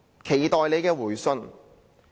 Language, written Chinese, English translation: Cantonese, 期待你的回信。, Look forward to seeing your reply